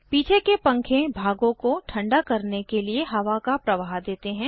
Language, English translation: Hindi, Fans at the back provide the air flow required to cool the components